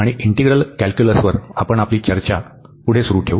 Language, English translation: Marathi, And we will be continuing our discussion on integral calculus